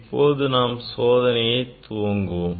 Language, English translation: Tamil, now, I will demonstrate the experiment